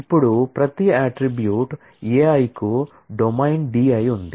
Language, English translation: Telugu, Now, every attribute A i has a domain D i